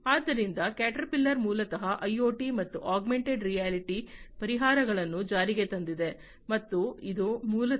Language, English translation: Kannada, And so Caterpillar basically has implemented IoT and augmented reality solutions and that is basically a step forward towards Industry 4